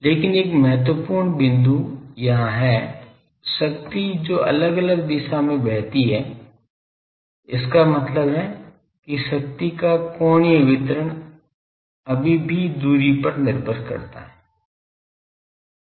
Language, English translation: Hindi, But one important point is here still the power that is flows in different direction; that means angular distribution of power that is still dependent on the distance